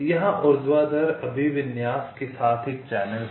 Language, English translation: Hindi, there is a channel here, vertical orientation